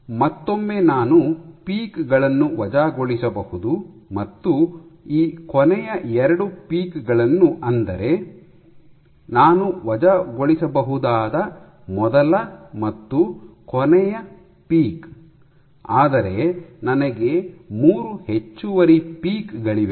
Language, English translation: Kannada, So, once again I can dismiss this and these last 2 the first and the last peak I can dismiss, but I have 3 additional peaks